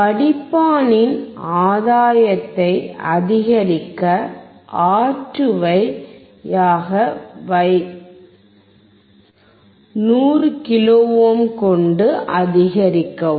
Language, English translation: Tamil, And to increase the gain of filter replace R2 with 100 kilo ohm